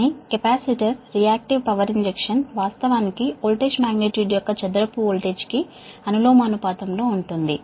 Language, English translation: Telugu, that reactive power injection actually is proportional to the square of the voltage magnitude